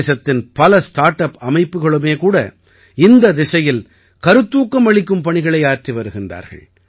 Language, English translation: Tamil, There are also many startups and organizations in the country which are doing inspirational work in this direction